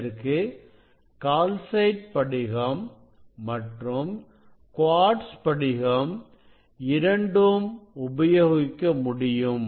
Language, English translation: Tamil, this is the calcite crystal; this is the calcite crystal